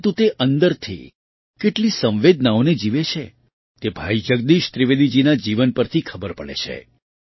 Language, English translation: Gujarati, But how many emotions he lives within, this can be seen from the life of Bhai Jagdish Trivedi ji